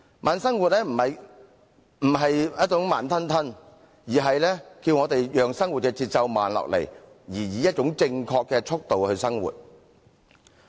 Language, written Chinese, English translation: Cantonese, 慢生活並非慢吞吞地生活，而是教我們讓生活的節奏慢下來，並以一種正確的速度來生活。, Slow living does not refer to conducting our life in a slow pace but teaches us to let the pace of our life slow down and approach life with a correct attitude